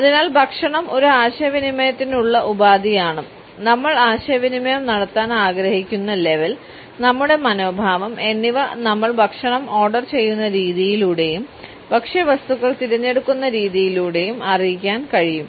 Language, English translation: Malayalam, And therefore, food is a means of communication which among other things can also convey the status we want to communicate our attitude towards other people by the manner in which we order and we select our food items